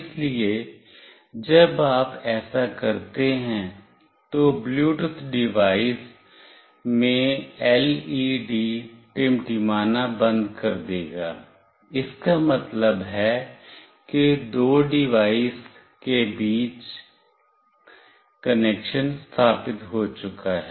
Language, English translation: Hindi, So, when you do that, the LED in the Bluetooth device will stop blinking, that means the connection between the two device has been established